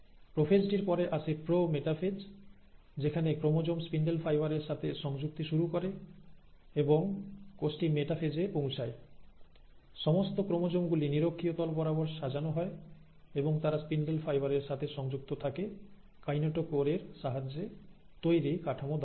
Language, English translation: Bengali, The prophase is followed by the prometaphase, at which, these chromosomes start attaching to the spindle fibres, and by the time the cell reaches the metaphase, all these chromosomes are arranged along the equatorial plane and they all are attached to the spindle fibre through this structure which is with the help of a kinetochore